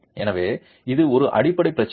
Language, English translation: Tamil, So this is a fundamental problem